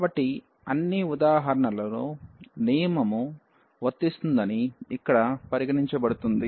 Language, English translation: Telugu, So, all the examples considered here that rule is applicable